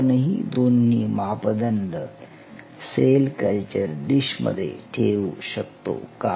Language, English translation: Marathi, Could these 2 parameters being retain in the cell culture dish